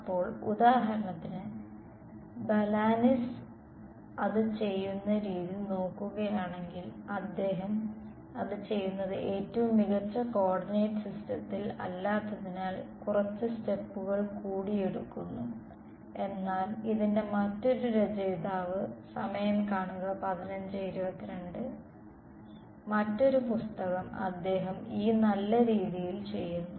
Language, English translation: Malayalam, So for example, if you look at the way Balanis does it, he takes a few more steps because it is doing it in a not in the smartest coordinate system, but the other author for this is , the other book he does it in this nice way